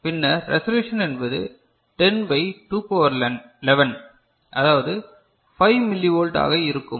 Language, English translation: Tamil, Then the resolution will be 10 by 10 by 2 to the power 11 this is 5 millivolt